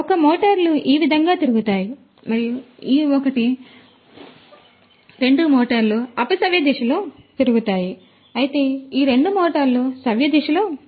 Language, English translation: Telugu, And one set of motors one set of motors will rotate like this one and this one, these two motors will rotate in a counterclockwise direction whereas, these two motors rotate in the clockwise direction